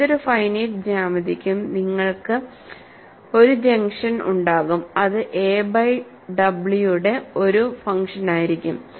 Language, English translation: Malayalam, So, that is a base solution; for any finite geometry you will have a function multiplied, which would be a function of A by w